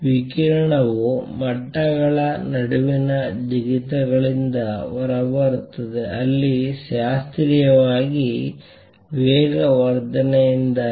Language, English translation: Kannada, So, radiation comes out by jumps; radiation comes out by jumps between levels where as classically it is because of the acceleration